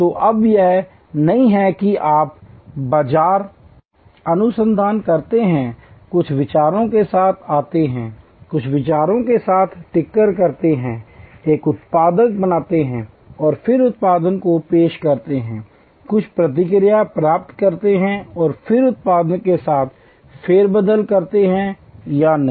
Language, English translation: Hindi, So, it is no longer that you do market research, come up with some ideas, tinker with some ideas, create a product and then introduce the product, get some feedback and then tinker with the product, no